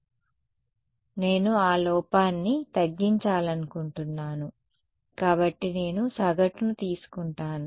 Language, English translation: Telugu, So, I want to minimize that error so, I take an average